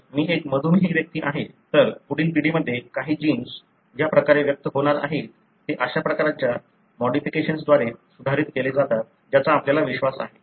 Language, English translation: Marathi, If I am a diabetic person, the way some of the genes are going to be expressed in the next generation is modulated by such kind of modifications we believe